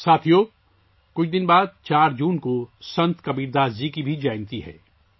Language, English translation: Urdu, Friends, a few days later, on the 4th of June, is also the birth anniversary of Sant Kabirdas ji